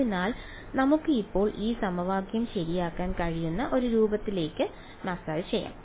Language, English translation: Malayalam, So, let us now sort of massage this equation into a form that we can solve ok